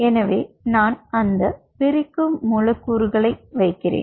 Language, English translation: Tamil, so i am just putting that dividing molecules